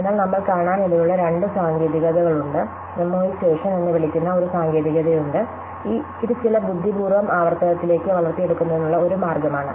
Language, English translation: Malayalam, So, there are two techniques that we will see, there is a technique called memoization, which is a way to build in some cleverness into recursion